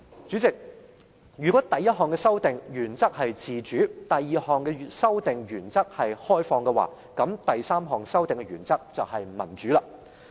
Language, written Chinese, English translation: Cantonese, 主席，如果第一項修訂的原則是自主，第二項修訂的原則是開放，那第三項修訂的原則就是民主。, President as the principle of the first amendment is autonomy and that of the second amendment is openness the principle of the third amendment is democracy